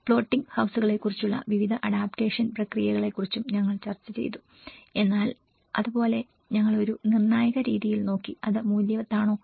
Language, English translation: Malayalam, And we also discussed about various adaptation process about floating houses but similarly, we also looked in a critical way of, is it worth